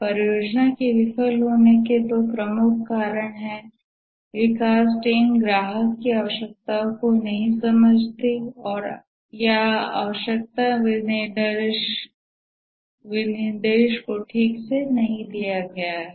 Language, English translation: Hindi, Two major reasons why the project fails is that the development team doesn't understand the customer's requirements